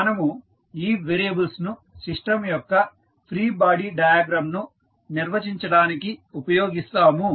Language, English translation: Telugu, So, we will use these variables to define the free body diagram of the system